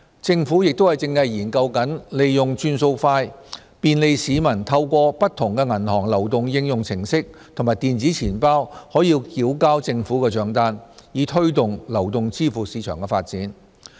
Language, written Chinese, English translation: Cantonese, 政府亦正研究利用"轉數快"，便利市民透過不同的銀行流動應用程式及電子錢包繳交政府帳單，以推動流動支付市場的發展。, The Government is now exploring the use of FPS to provide the public with convenience in paying government bills through the mobile apps of different banks and electronic wallets thereby promoting the development of mobile payment market